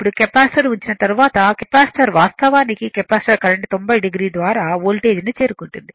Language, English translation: Telugu, Now, after putting the Capacitor, Capacitor actually capacitive current will reach the Voltage by 90 degree